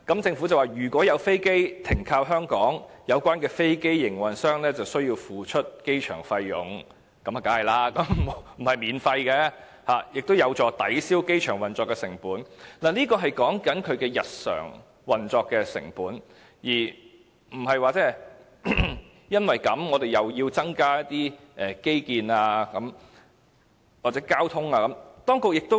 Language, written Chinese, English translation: Cantonese, 政府接着說："如有飛機停靠香港，有關的飛機營運商須繳付機場費用"——當然不能免費——"此舉有助抵銷機場運作成本"，這是指日常運作成本，而不是我們又要因此增加一些基建或交通設施等的成本。, Whether at the end of the day we will make a breakeven or if the costs outweigh the benefits? . The Government continued to say where an aircraft calls at Hong Kong the aircraft operators would need to pay airport charges―of course the service cannot be provided free of charge―which would help offset the cost of airport operation . What the Government refers to is the day - to - day operating costs not the costs for the provision of additional infrastructure or transport facilities arising from the proposal